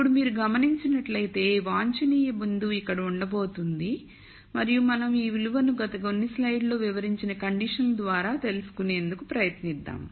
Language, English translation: Telugu, Now, if you notice the optimum point is going to lie here and we are going to try and find out this value through the conditions that we described in the last few slides